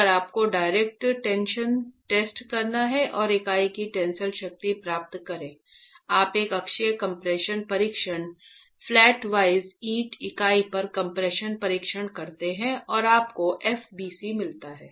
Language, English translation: Hindi, If you were to do a direct tension test and get the tensile strength of the unit, you do a uniaxial compression test, flatwise compression test on the brick unit, you get FBC